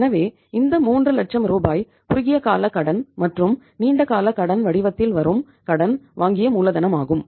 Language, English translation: Tamil, So that 3 lakh rupees which is a borrowed capital that is coming in the form of short term debt as well as the long term debt